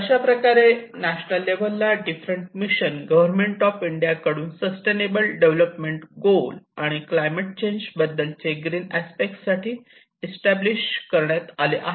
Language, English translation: Marathi, So these are different missions which were established by the Government of India and in order to address the sustainable development goals and as well as the climate change on the green aspects of it